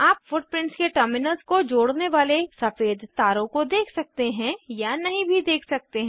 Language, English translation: Hindi, You may or may not see white wires connecting the terminals of footprints